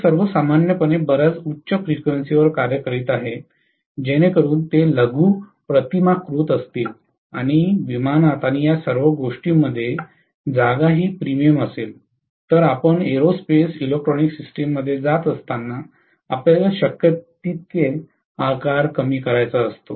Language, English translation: Marathi, All of them are going to work normally at much higher frequency so that they are miniaturized, and space is at a premium in aircraft and all, so you want to reduce the size as much as possible when you are going to aerospace electronics systems